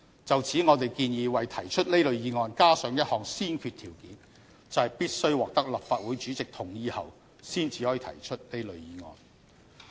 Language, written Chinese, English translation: Cantonese, 就此，我們建議為提出這類議案加上一項先決條件，就是必須獲得立法會主席同意後才可以提出這類議案。, In this connection we propose that a prerequisite be laid down for these motions such that these motions can only be moved with the consent of the President